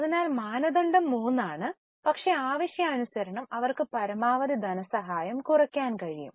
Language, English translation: Malayalam, So, norm is 3, but they can bring down maximum financing as for the requirement